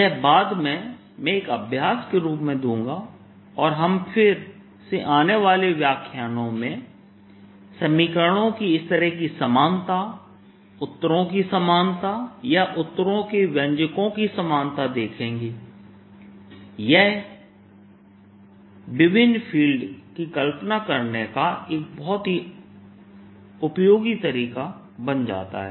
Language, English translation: Hindi, this i'll give as an exercise later and we will again see in coming lectures, that this kind of similarity of equations, these two same answers or same expressions for the answers, and that becomes a very useful way of visualizing different feels